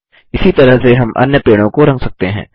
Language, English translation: Hindi, We can color the other trees in the same way